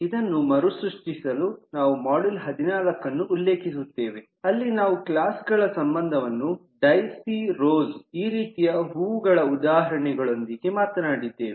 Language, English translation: Kannada, so just to recap, this is referring back module 14 where we talked about relationship among classes with this example of daisy rose, this kind of flowers